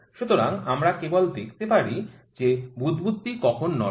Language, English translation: Bengali, So, the we can just see when does this bubble moves